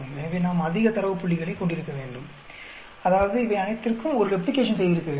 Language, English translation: Tamil, So, we need to have more data points, that means we should have done a replication of all these